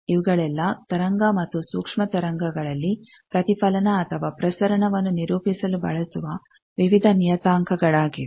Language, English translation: Kannada, So, these are various parameters used to characterize either reflection or transmission of waves at waves and microwave